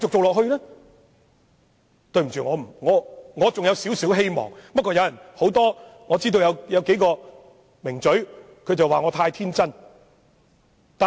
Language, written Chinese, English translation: Cantonese, 我對此還有少許期望，儘管有數位"名嘴"認為我太天真。, I have some expectation about this although several famous commentators have said that I am too naïve